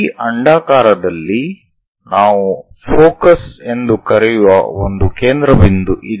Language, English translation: Kannada, In this ellipse, there is a focal point which we are calling focus